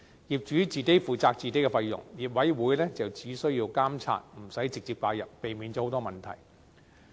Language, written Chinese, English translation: Cantonese, 業主自己負責自己的費用，業委員只需監察，無須直接介入，避免了許多問題。, The owners will be responsible for their own fees the OC will only need to monitor without directly getting involved so a lot of problems are avoided